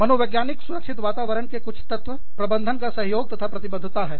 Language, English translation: Hindi, And, some of the elements of psychosocial safety climate are, management support and commitment